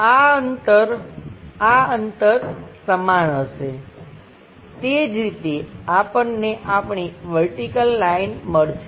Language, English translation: Gujarati, This distance, this distance will be equal like that we will get, let us vertical line